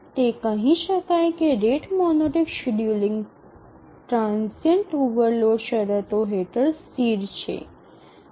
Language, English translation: Gujarati, The rate monotonic algorithm is stable under transient overload conditions